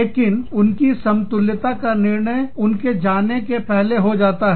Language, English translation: Hindi, But, the equivalence is decided, before they go